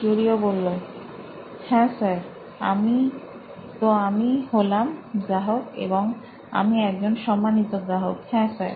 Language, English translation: Bengali, Yes, sir, so I am the customer and I am a reputed customer, yes sir